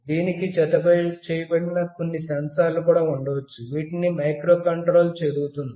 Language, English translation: Telugu, There might be some sensors that are also attached, which will be read by the microcontroller